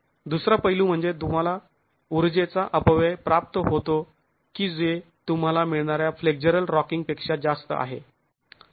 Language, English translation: Marathi, The second aspect is you do get energy dissipation which is more than what you would get for flexual rocking